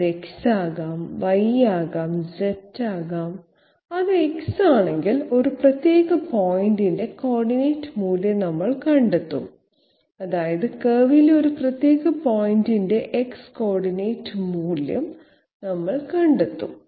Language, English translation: Malayalam, It can be X, it can be Y, it can be Z, if it is X, we will find out the coordinate value for particular point I mean we will find out the X coordinate value of a particular point on the curve